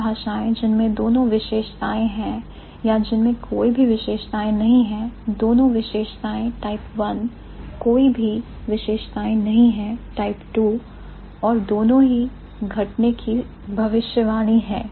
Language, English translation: Hindi, So, languages which have both characteristics or have neither of the characteristics, both characteristics type 1, neither of the characteristics type 2 and both are predicted to occur